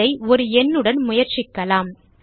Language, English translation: Tamil, Let us try this with a digit